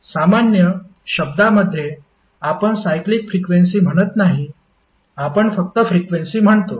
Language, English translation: Marathi, In general terms we do not say like a cyclic frequency, we simply say as a frequency